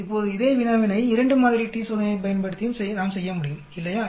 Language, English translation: Tamil, Now the same problem we can do it using 2 sample t test also, right